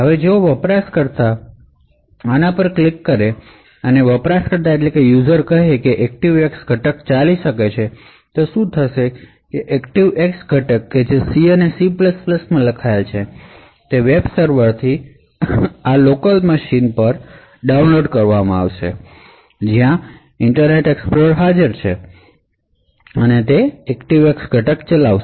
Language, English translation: Gujarati, Now if the user clicks on this and the user says that the ActiveX component can run then what would happen is that the ActiveX component which is written in C and C++ would be downloaded from the web server into this local machine where this Internet Explorer is present and that ActiveX component will execute